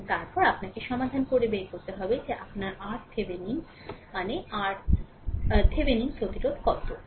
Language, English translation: Bengali, And then you have to find out also that your R Thevenin, Thevenin resistance